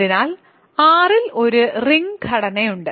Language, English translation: Malayalam, So, there is a ring structure on R